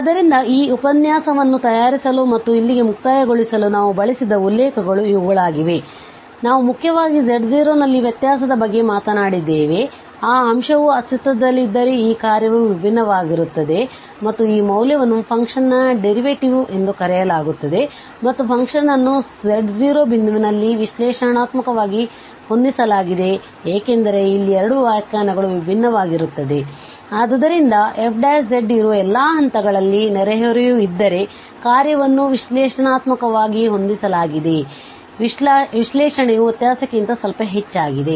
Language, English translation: Kannada, So, these are the references we have used for preparing this lecture and just to conclude here, so we have talked about mainly about the differentiability at z naught where we can we observe that if this quotient exists this is then the function is differentiable and this value is called the derivative of the function and the function is set to be analytic at a point z naught because here were the 2 definitions differ, so for the function is set analytic if there exists a neighborhood at all points of which f prime z exists So, the differentiability is little more than just sorry analyticity is little more than the differentiability